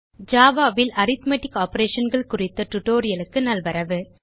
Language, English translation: Tamil, Welcome to the tutorial on Arithmetic Operations in Java